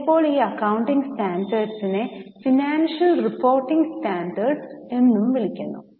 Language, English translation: Malayalam, Sometimes these accounting standards are also called as financial reporting standards